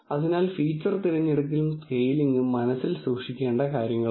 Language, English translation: Malayalam, So, feature selection and scaling are things to keep in mind